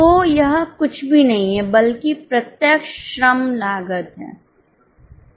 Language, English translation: Hindi, So, it is nothing but the direct labor cost